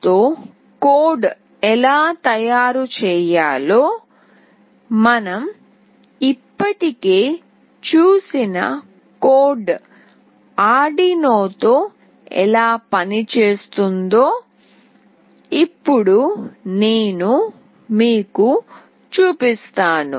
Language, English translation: Telugu, Now I will be showing you that how it works with Arduino, the code we have already seen how to make the code for Arduino